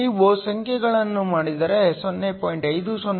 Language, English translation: Kannada, If you do the numbers is 0